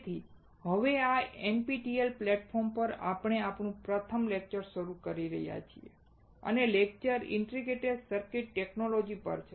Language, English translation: Gujarati, So now, in this NPTEL platform, we are starting our first lecture and the lecture is on integrated circuit technology